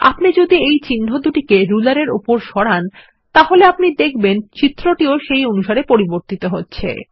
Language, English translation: Bengali, If you move these marks on the ruler, you will notice that the figure changes accordingly